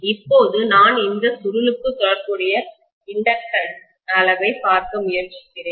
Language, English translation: Tamil, Now if I try to look at what is the corresponding inductance measure of the coil